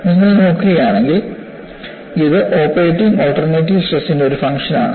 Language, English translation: Malayalam, And if you look at, this is also a function of the operating alternating stress